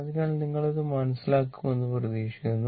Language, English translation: Malayalam, So, hope you are understanding this